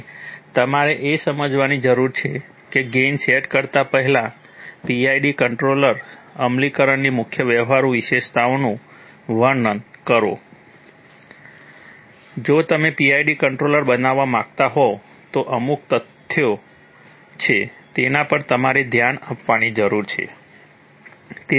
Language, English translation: Gujarati, And you need to understand that before setting gains, describe major practical features of PID controller implementation, if you want to build a PID controller then there are certain facts that you need to pay attention to